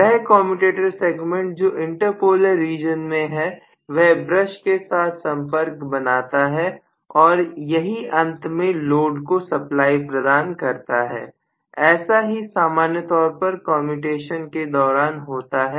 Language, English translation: Hindi, The commutator segment which is lying in the inter polar region is the one which is getting connected to the brush and then eventually going and supplying my load that is what happens normally during commutation